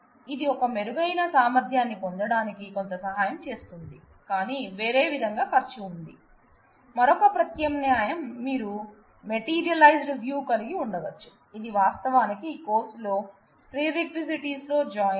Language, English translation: Telugu, So, it does help in certain way in terms of getting a better efficiency, but it there is a there is a cost to pay in a different way also the other alternative could be you can have a materialized view, which is actually the join in course of prerequisite